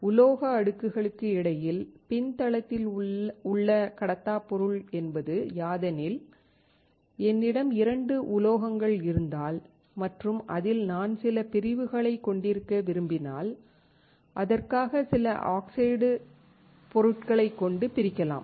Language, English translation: Tamil, Backend insulators between metal layers means if I have two metals and I want to have some separation, I will separate it with some oxide material